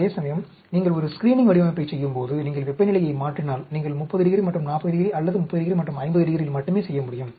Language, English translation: Tamil, Whereas, when you are doing a screening design, if you are changing temperature, you may do at 30 degrees and 40 degrees, or 30 degrees and 50 degrees only